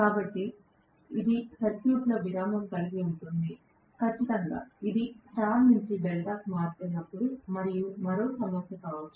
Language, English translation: Telugu, So, this will have a break in the circuit, definitely when it is changing over from star to delta and one more problem also can be